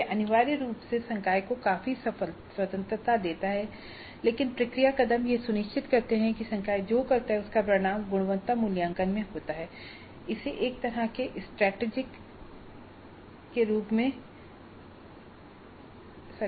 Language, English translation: Hindi, It is essentially faculty has all the freedom but the process steps ensure that what the faculty does results in quality assessment